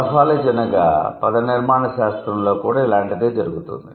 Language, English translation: Telugu, Something similar is also happening in morphology